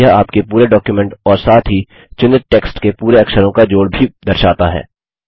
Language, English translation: Hindi, It also shows the total count of characters in your entire document as well as in the selected text